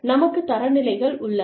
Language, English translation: Tamil, We have standards